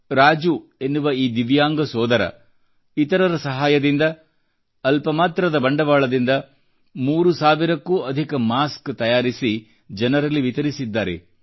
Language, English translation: Kannada, Divyang Raju through a small investment raised with help from others got over three thousand masks made and distributed them